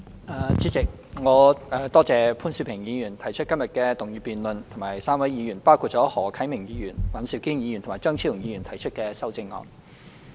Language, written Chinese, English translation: Cantonese, 代理主席，我多謝潘兆平議員提出今天的議案辯論，以及3位議員，包括何啟明議員、尹兆堅議員和張超雄議員提出的修正案。, Deputy President I thank Mr POON Siu - ping for moving todays motion debate and three Members Mr HO Kai - ming Mr Andrew WAN and Dr Fernando CHEUNG for proposing amendments to the motion